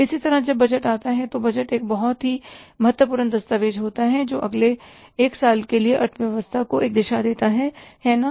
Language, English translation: Hindi, Similarly when the budget comes, so budget is a very important document which gives a direction to the economy for the next one year